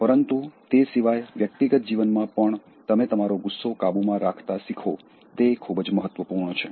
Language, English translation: Gujarati, But, apart from that, in personal life also, it is very important that you would learn how to control your anger